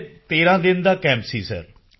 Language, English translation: Punjabi, Sir, it was was a 13day camp